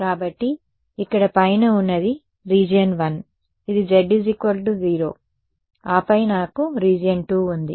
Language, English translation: Telugu, So, this over here on top is region 1, this is z is equal to 0 and then I have region 2 ok